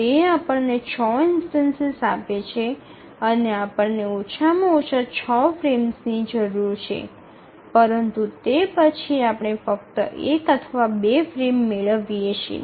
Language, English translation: Gujarati, So that gives us six instances and we need at least six frames but then we are getting only either one or two frames